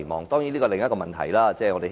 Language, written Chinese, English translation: Cantonese, 當然，這是另一個問題。, Of course that is another issue